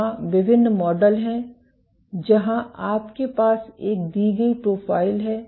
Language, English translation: Hindi, There are various models where you have a given profile